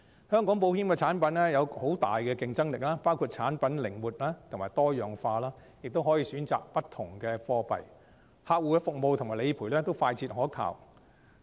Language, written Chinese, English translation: Cantonese, 香港保險產品有很大的競爭力，包括產品靈活及多樣化，亦容許選擇不同的貨幣，客戶服務及理賠都快捷可靠。, Hong Kongs insurance products are very competitive in terms of flexibility diversity currency choices fast and reliable customer service and claim settlement process etc